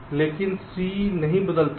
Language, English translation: Hindi, but g doesnot change